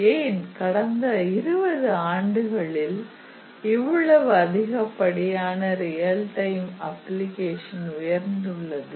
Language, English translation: Tamil, So, then why suddenly in last 20 years there is such a large increase in the real time applications